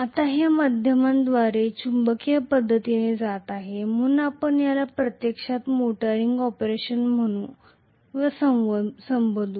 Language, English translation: Marathi, Now this is going through magnetic via media, so we will call this as actually the motoring operation